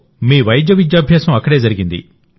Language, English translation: Telugu, Your medical education took place there